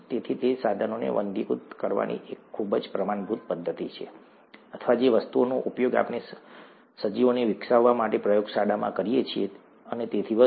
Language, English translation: Gujarati, So that's a very standard method of sterilizing instruments, or sterilizing things that we use in the lab to grow organisms and so on